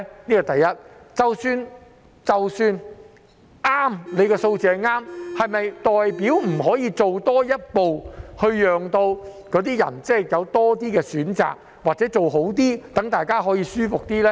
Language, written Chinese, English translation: Cantonese, 即使他們的數字正確，是否代表不可以多做一步，讓市民有多些選擇，或者做得更好，讓大家可以舒服一點呢？, Even if their figures are correct does it mean that they cannot take a step further to give the public more choices or to do a better job so that people can feel more comfortable?